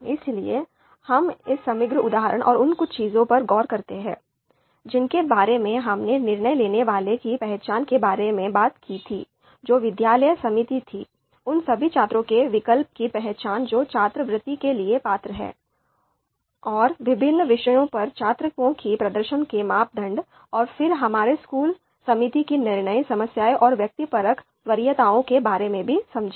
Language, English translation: Hindi, So we look at this overall example and the few things that we talked about you know identification of decision maker which being the school committee, identification of alternatives all the students who are eligible and the performance, the criteria being the performance on different subjects and we understood the decision problem and then the subjective preferences of school committee